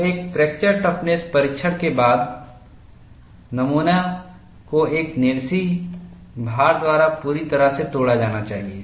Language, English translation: Hindi, So, after a fracture toughness testing, the specimen has to be broken completely, by a monotonic loading